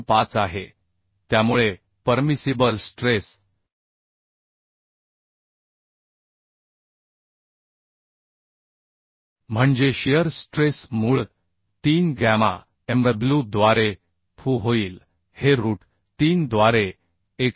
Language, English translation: Marathi, 25 so permissible stress permissible stress stress means shear stress will be fu by root 3 gamma mw this will become 189